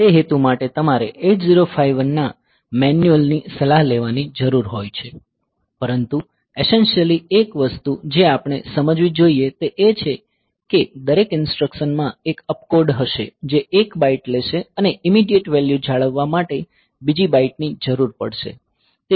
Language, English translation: Gujarati, So, for that purpose you need to consult the manual of 8051, but essentially one thing we should understand that every instruction there will be an opcode which will be taking 1 byte and another byte will be required for holding the immediate value